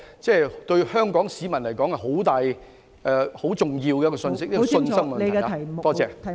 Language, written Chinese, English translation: Cantonese, 這對香港市民而言是很重大和很重要的信息，是信心問題。, The answer will give a very significant and important message to Hong Kong people; it is a matter of confidence